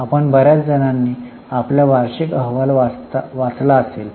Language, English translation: Marathi, Now most of you would have read your annual report